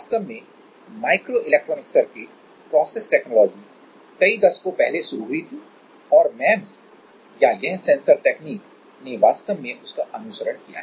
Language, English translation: Hindi, Actually microelectronic circuit process technology actually started from like several decades back right and MEMS or this sensors technology actually followed that technique